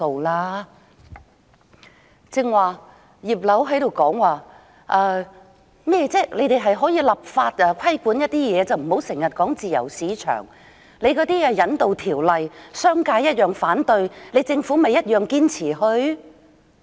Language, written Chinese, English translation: Cantonese, 剛才"葉劉"說，可以透過立法規管某些事宜，不要經常說自由市場，商界同樣反對修訂《逃犯條例》，政府不也堅持推行？, Just now Regina IP said that certain matters can be regulated by way of legislation and the Government should not keep on resorting to the free market whereas the Government still insists on proceeding with the amendment exercise of the Fugitive Offenders Ordinance FOO despite objection from the business sector